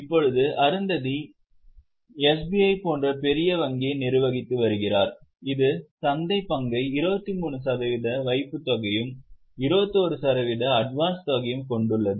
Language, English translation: Tamil, Now Arundati ji is managing a bank as big as SBI, which has a market share of 23% in deposit and 21% in advance